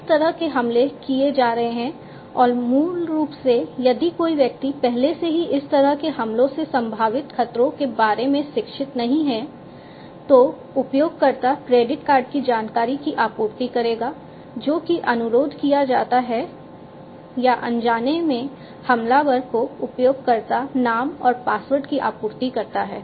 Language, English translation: Hindi, So, these kind of attacks are going to be made and that will basically if somebody is not already educated about the potential threats from these kind of attacks, then they will the user would supply the credit card information that is requested or supply the username and password to the attacker unintentionally and that way they will lose access to their system